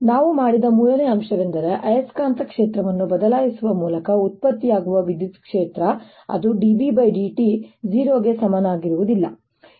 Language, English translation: Kannada, third point we made was that the electric field produced by changing magnetic field that means d b, d t, not equal to zero is not conservative